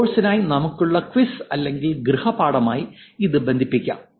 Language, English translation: Malayalam, We can probably connect this to the quiz that we have or homework that we have for the course also